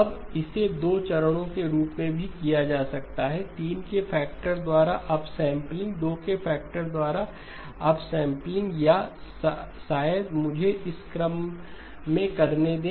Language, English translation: Hindi, Now this can also be done as 2 stages, upsampling by a factor of 3, upsampling by a factor of 2 or maybe let me do it in this order